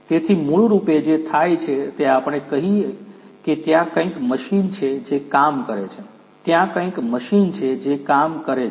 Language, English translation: Gujarati, So, basically what happens is let us say that there is some machine which is doing a job there is some machine which is doing a job